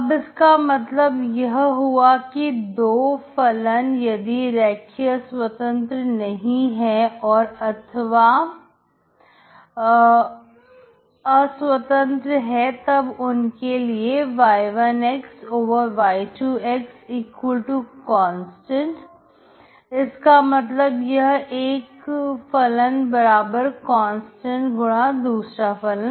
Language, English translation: Hindi, So that means two functions are linearly dependent if y1 y2=constant, that means one is constant multiple of other